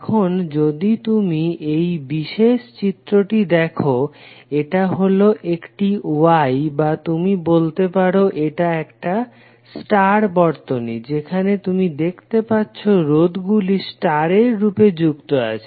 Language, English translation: Bengali, Now, if you see this particular figure, this is a Y or you could say, this is a star circuit where you see the resistances are connected in star form